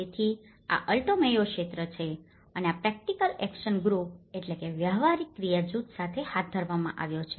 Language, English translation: Gujarati, So, this is the Alto Mayo region and this has been carried out with the practical action group